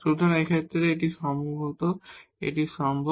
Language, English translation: Bengali, So, in this case perhaps it is possible